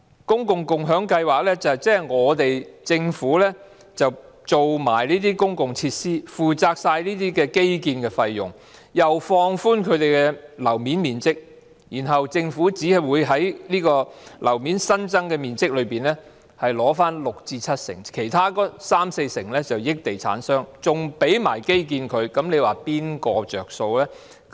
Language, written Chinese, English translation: Cantonese, 共享計劃即是由政府提供公共設施，負責全部的基建費用，又放寬樓面面積，然後政府只會取回新增樓面面積六至七成，其餘三四成則歸地產商所有，甚至為它們提供基建，你說誰會得益呢？, Land sharing means that the Government provides public facilities foots the bill for all infrastructure costs and relaxes the floor area requirements . Then the Government will only take back 60 % to 70 % of the additional floor area while the remaining 30 % to 40 % will go to property developers not to mention that the Government will provide infrastructure for them . So please tell me who will benefit from it?